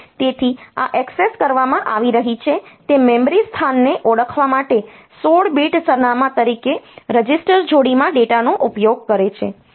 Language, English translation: Gujarati, So, this uses data in a register pair as a 16 bit address to identify the memory location being accessed